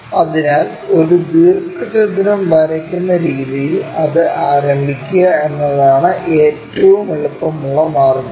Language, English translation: Malayalam, So, the easiest way is begin it in such a way that we will be drawing a rectangle